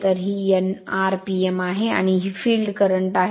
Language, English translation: Marathi, So, this is your n rpm and this is your field current right